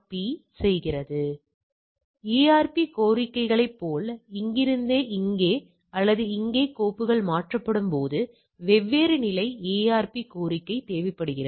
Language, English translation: Tamil, So, like ARP request from here to here or here to here, so different level of ARP request when the files are getting transferred right